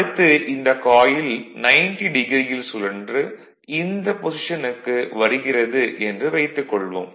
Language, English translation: Tamil, Now when it is coming suppose, it rotates 90 degree at that time this position suppose it is moving like this